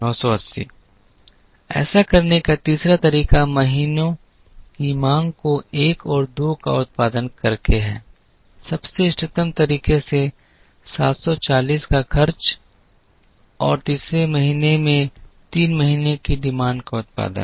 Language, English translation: Hindi, The third way to do this is by producing the demand of months one and two, in the most optimal manner which is by incurring the 740 and producing the demand of month three in the third month